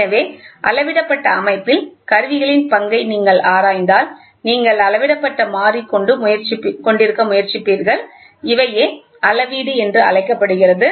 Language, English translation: Tamil, So, if you look into the role of instruments in measured system, you will try to have a measured variable which is otherwise called as Measurand, ok